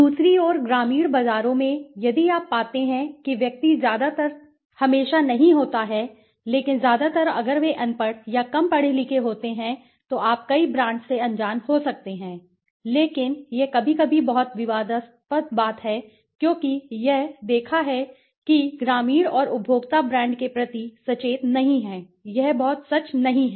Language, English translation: Hindi, In the rural markets, on the other hand, if you find that the individual is mostly its not always but mostly if they are illiterate or less educated you can say, unaware of many brands but this is this sometimes very controversial thing because it has been seen that the hypothesis that rural and consumers are not brand conscious might not be very true right